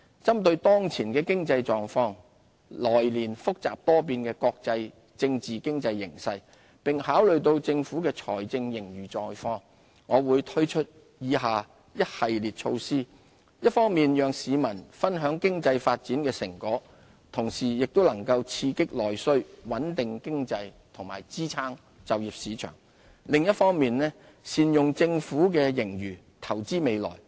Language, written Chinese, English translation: Cantonese, 針對當前的經濟情況，來年複雜多變的國際政經形勢，並考慮到政府的財政盈餘狀況，我會推出以下一系列措施，一方面讓市民分享經濟發展的成果，同時亦能刺激內需、穩定經濟和支撐就業市場，另一方面，善用政府的資源投資未來。, Having regard to the current economic situation the complicated and uncertain global political and economic climate in the coming year as well as the Governments fiscal surplus I will introduce a series of measures that will on the one hand share the fruits of our economic development with members of the public stimulate domestic demand stabilize the economy and support the employment market and on the other hand invest for the future by optimizing the use of government resources